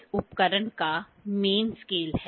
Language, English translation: Hindi, This instrument is having main scale